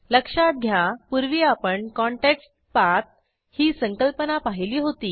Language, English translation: Marathi, Recall that we had come across something called ContextPath earlier